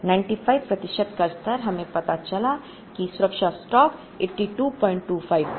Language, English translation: Hindi, If we fix the service level at 95, safety stock is 82